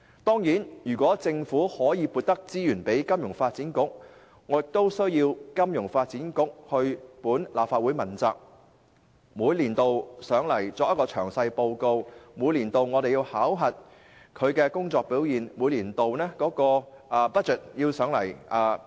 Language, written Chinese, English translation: Cantonese, 當然，如果政府向金發局增撥資源，我會要求金發局向立法會問責，每年向立法會進行詳細匯報和接受我們考核其工作表現，以及提交年度預算予立法會批核。, Of course if additional resources are provided I will request that FSDC be held accountable to the Legislative Council . It should provide detailed reports to the Council every year for Members to assess its performance and submit its annual budget to the Council for approval